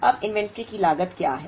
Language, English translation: Hindi, Now, what is the inventory carrying cost